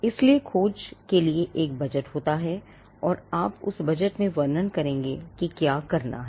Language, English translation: Hindi, So, there is a budget for the search, and you will describe within that budget what needs to be done